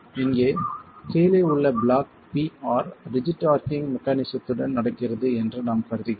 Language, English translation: Tamil, R subscript here we are assuming that rigid arching mechanism is happening